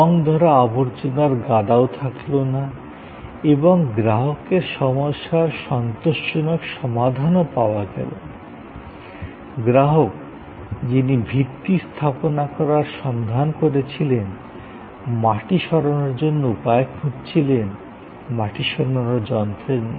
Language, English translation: Bengali, There was no more junk heap rusting away and solution was there to the satisfaction of the customer, who was looking for the foundation base, looking for earth removal and not necessarily the earth removing machine